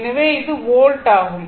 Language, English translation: Tamil, So, it is volt